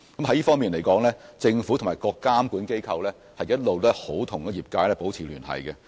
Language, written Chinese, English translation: Cantonese, 在這方面，政府及各監管機構一直與業界保持聯繫。, In this connection the Government and various regulatory authorities have all along maintained liaison with the industry